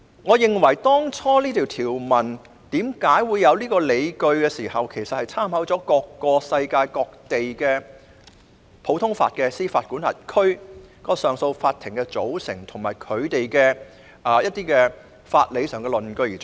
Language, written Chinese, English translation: Cantonese, 我認為當初訂立這項條文時的理據，是參考了世界各地不同普通法司法管轄區的上訴法庭的組成，以及參考了一些法理上的理據。, In my view this provision was initially laid down with reference to the constitution of CAs in various common law jurisdictions in the globe as well as to some legal justifications